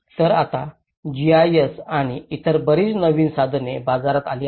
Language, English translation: Marathi, So here, now the technologies like GIS and many other new tools have come in the market